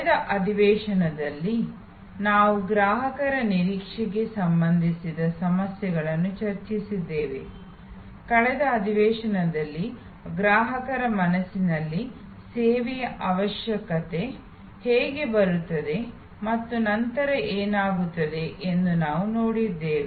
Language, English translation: Kannada, In the last session we discussed issues relating to customers expectation, in the last session we saw how the need of a service comes up in consumers mind and what happens there after